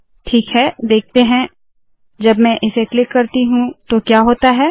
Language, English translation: Hindi, Alright, lets see what happens when I click this